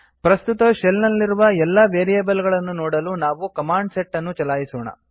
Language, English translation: Kannada, To see all the variables available in the current shell , we run the command set